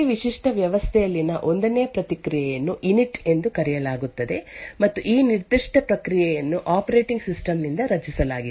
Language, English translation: Kannada, The 1st process in every typical unique system is known as Init and this particular process is created by the operating system